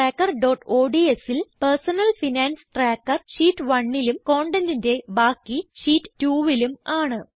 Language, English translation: Malayalam, In Personal Finance Tracker.ods the personal finance tracker is in Sheet 1 and the rest of the content is in Sheet 2